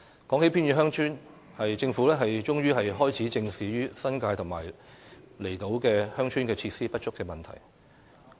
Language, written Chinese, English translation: Cantonese, 說到偏遠鄉村，政府終於開始正視新界和離島鄉村設施不足的問題。, Speaking of remote villages the Government has finally started facing up to the problem of inadequate facilities in villages in the New Territories and on outlying islands